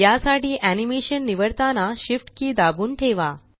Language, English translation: Marathi, To do this, hold down the Shift key, while selecting the animation